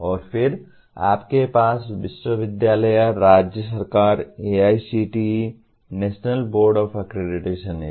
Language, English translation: Hindi, And then you have universities, state government, AICTE, National Board of Accreditation